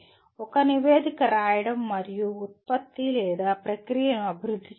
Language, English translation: Telugu, Writing a report and or developing a product or process